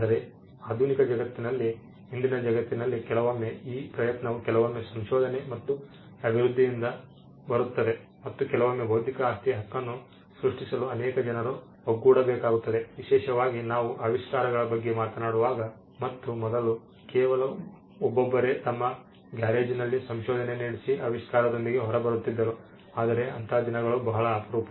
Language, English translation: Kannada, But in today’s the world in a modern world sometimes this effort comes from research and development sometimes and sometimes it requires many people coming together to create intellectual property right, especially when we are talking about inventions and today gone are the days where an inventor could be in his garage and come up with something new